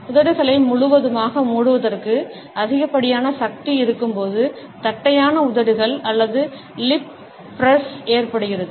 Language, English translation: Tamil, Flattened lips or lip press occur when there is an excessive almost force full closing of the lips